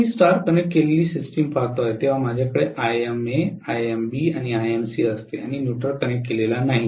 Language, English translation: Marathi, Now, when I look at the star connected system, I have Ima Imb and Imc and the neutral is not connected, right